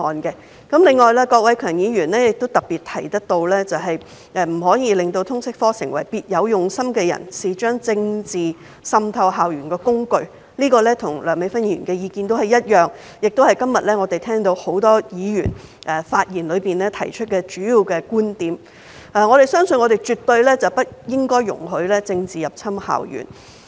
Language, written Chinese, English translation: Cantonese, 另外，郭偉强議員特別提到，不可以讓"通識科成為了別有用心的人士將政治滲透校園的工具"，這跟梁美芬議員的意見一致，也是今天很多發言議員提出的主要觀點，我們絕對不容許政治入侵校園。, Mr KWOK Wai - keung on the other hand particularly mentioned that we should not allow the LS subject to become a tool for people with ulterior motives to infiltrate politics into school campuses . His view is consistent with that of Dr Priscilla LEUNG which is also the major viewpoint expressed by many Members who have spoken today . We should absolutely forbid infiltration of politics into school campuses